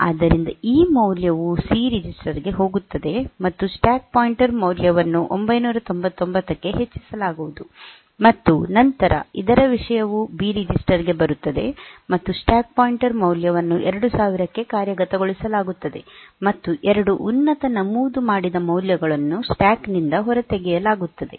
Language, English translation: Kannada, So, this value will go to the C register stack pointer value will be incremented to 999, and then the content of this will come to the B register, and the stack pointer value will be implemented 2000; as if 2 top most entries have been taken out from the stack